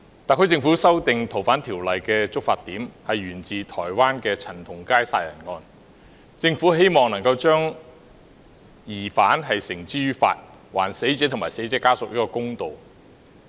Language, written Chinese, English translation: Cantonese, 特區政府修訂《逃犯條例》的觸發點是台灣陳同佳殺人案，政府希望將疑犯繩之於法，還死者及死者家屬一個公道。, The trigger point of the amendment exercise of the Special Administrative Region SAR Government on the Fugitive Offenders Ordinance FOO was CHAN Tong - kais murder case in Taiwan . The Government wished to bring the suspect to book thereby doing justice to the deceased and her family members